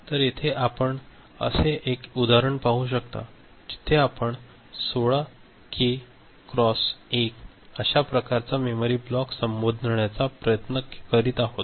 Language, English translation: Marathi, So, here you can see one such example, one such example where we are trying to address 16K into 1, that kind of memory block